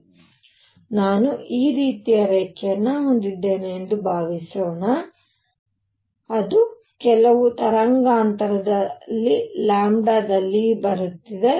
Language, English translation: Kannada, So, suppose I had a line like this, which is coming at certain wavelength lambda